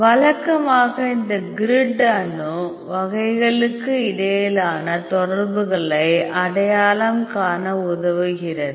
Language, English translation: Tamil, Usually this grid helps you to identify the interactions between the atom types